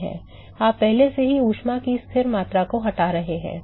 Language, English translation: Hindi, You already removing, constant amount of heat